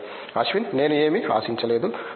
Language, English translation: Telugu, Okay I did not expect anything